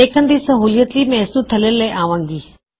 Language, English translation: Punjabi, And just for easy viewing, I will bring this down